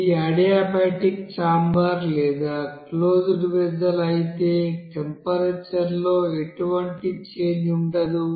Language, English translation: Telugu, But if it is you know that adiabatic you know chamber or closed vessel, there will be no change in temperature